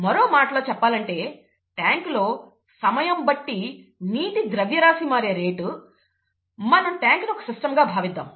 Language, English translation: Telugu, Or in other words, the rate of change of water mass with time inside the tank, and we are going to call the tank as our system